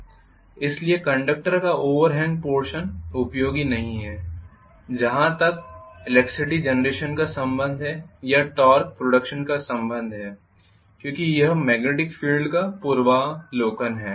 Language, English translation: Hindi, So the overhang portion of the conductor is not going to be useful as far as the electricity generation is concerned or torque production is concerned because this is preview of the magnetic field